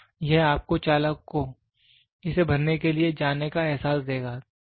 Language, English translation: Hindi, So, it will give you a feel for the driver to go fill it